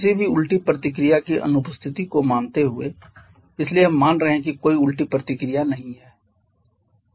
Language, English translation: Hindi, Assuming the absence of any reverse reaction, so we are assuming there is no reverse reaction there is no dissociation